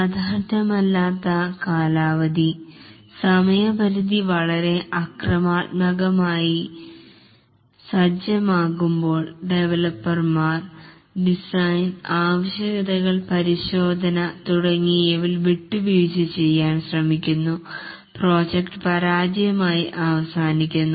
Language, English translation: Malayalam, When the deadline is very aggressively set, the developers try to compromise on the design requirements, testing and so on and the project ends up as a failure